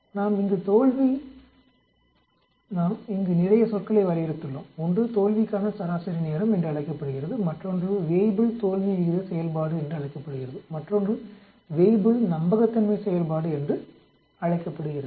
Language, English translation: Tamil, We have defined quite a lot of terminologies here one is called the mean time to failure and other is called the Weibull failure rate function and other one is called the Weibull reliability function